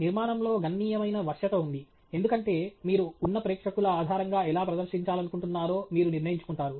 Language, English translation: Telugu, There is significant flexibility in the structure because you decide how you want to present it based on the audience that is present